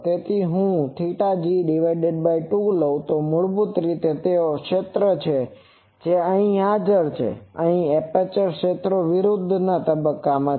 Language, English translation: Gujarati, So, if I take lambda g by 2, basically they are the fields that are present here and here the aperture fields are opposite phase